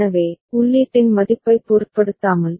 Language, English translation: Tamil, So, irrespective of the value of the input